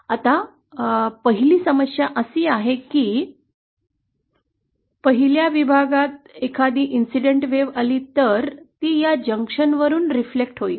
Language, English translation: Marathi, Now the first problem is that, if suppose there is an incident wave a1 entering the first section then it will be reflected from this junction